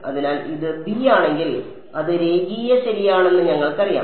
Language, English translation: Malayalam, So, if this is b and we know it is linear right